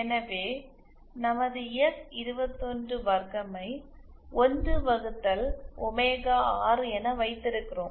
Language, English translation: Tamil, So, to do that we have our S212 as 1 upon omega 6